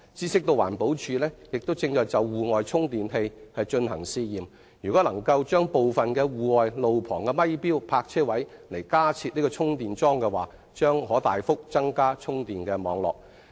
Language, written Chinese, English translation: Cantonese, 據悉，環境保護署亦正就戶外充電器進行試驗，若能在部分路旁咪錶泊車位加設充電樁，將可大幅地擴展充電網絡。, We hear that the Environmental Protection Department is doing tests on outdoor chargers . If some roadside metered parking spaces can be provided with charging posts the network of chargers can be expanded substantially